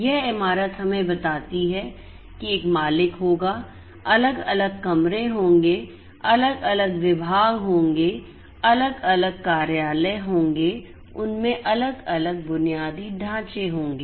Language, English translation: Hindi, This building will have an owner, this building has different rooms, different departments different offices, different you know different infrastructure in them